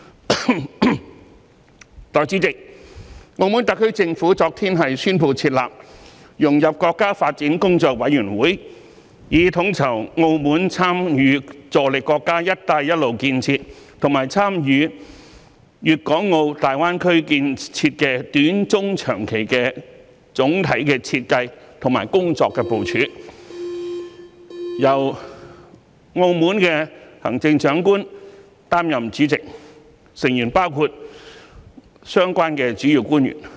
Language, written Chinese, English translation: Cantonese, 代理主席，澳門特區政府昨天宣布設立融入國家發展工作委員會，以統籌澳門參與助力國家"一帶一路"建設和參與大灣區建設的短、中、長期的總體設計及工作部署，由澳門行政長官擔任主席，成員包括相關主要官員。, Deputy President the Macao SAR Government announced yesterday the establishment of the Working Committee for Integrating into National Development . The Committee will coordinate the overall strategy in short medium and long - term regarding Macaos participation in and contribution to the countrys Belt and Road Initiative and the Greater Bay Area . The Committee is chaired by the Chief Executive of the Macao SAR